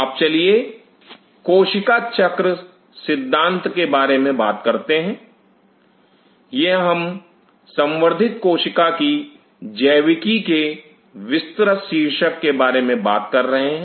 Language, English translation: Hindi, Now let us talk about the concept of cell cycle, this is we are talking about and the broad heading of biology of cultured cells